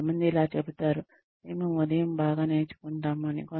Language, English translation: Telugu, Some people say that, we learn best in the morning